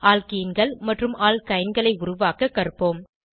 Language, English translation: Tamil, Lets learn how to create alkenes and alkynes